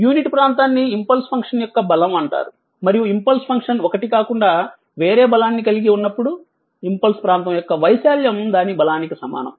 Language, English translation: Telugu, The unit area is known as the strength of the impulse function and when an impulse function has a strength other then unity, the area of the impulse is equals to it is strength right